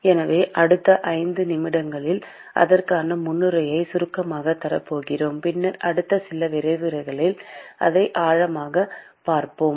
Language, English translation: Tamil, So, I will be going to briefly give introduction to that in the next 5 minutes or so; and then we will go deep into it in the next few lectures